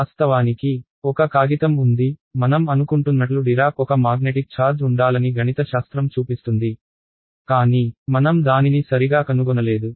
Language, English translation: Telugu, In fact, there is a paper by I think Dirac which says sort of mathematically shows that there should be a magnetic charge, but we have not found it ok